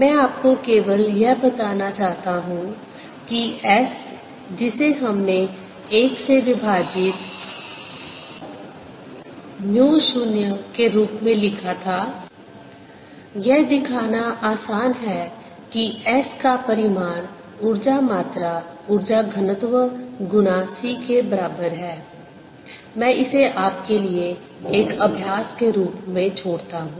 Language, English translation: Hindi, i just want to tell you that s, which we wrote as one over mu zero, it is easy to show that the magnitude of s is also equal to the energy content, energy density times c